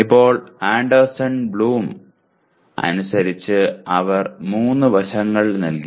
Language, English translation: Malayalam, Now comes as per Anderson Bloom they provided 3 aspects